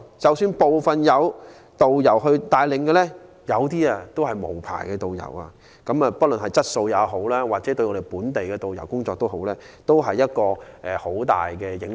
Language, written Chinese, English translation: Cantonese, 即使部分旅行團有導遊帶領，有些卻是無牌導遊，不論對旅行團的質素或本地導遊的工作都有很大的影響。, Even if some tour groups are accompanied by tourist guides these guides are unlicensed hence seriously affecting the quality of tour groups and the employment opportunities of local tourist guides